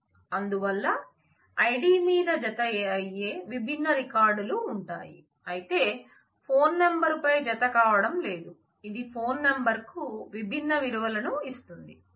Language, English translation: Telugu, So, there will be different records which match on the id, but do not match on the phone number which gives me the different values that the phone number can take